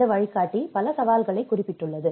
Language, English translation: Tamil, And this guide have noted a number of challenges